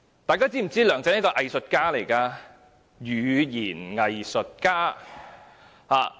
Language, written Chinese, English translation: Cantonese, 大家是否知道梁振英是一位語言"偽術家"？, Do we know that LEUNG Chun - ying is an expert in hypocritical rhetoric?